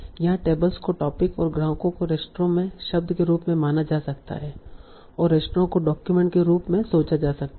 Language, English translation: Hindi, Now we also see that tables can be thought of as topics and customers as word in the restaurant or restaurant can be thought of as document